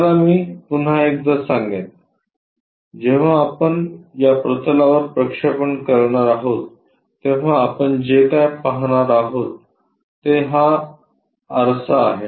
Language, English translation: Marathi, Let me tell you once again on to this plane when we are projecting what we will see is this mirror